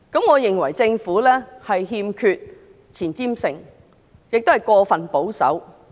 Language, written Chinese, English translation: Cantonese, 我認為政府欠缺前瞻性，亦過分保守。, I believe the Government lacks foresight and is also much too conservative